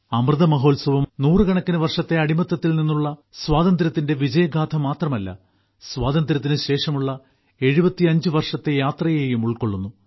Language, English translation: Malayalam, The Amrit Mahotsav not only encompasses the victory saga of freedom from hundreds of years of slavery, but also the journey of 75 years after independence